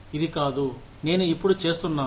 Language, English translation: Telugu, It is not what, I am doing now